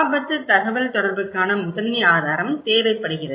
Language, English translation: Tamil, So, the primary source of risk communications